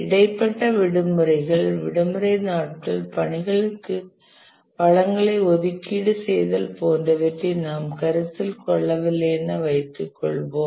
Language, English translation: Tamil, We don't consider intervening holidays, off days, allocation of resources to the tasks and so on